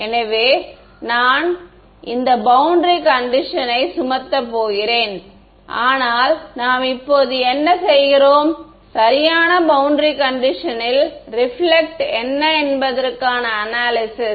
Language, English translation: Tamil, So, I am and I am going to impose this boundary condition on that but, what we are doing now is an analysis of what is the reflection due to this in perfect boundary condition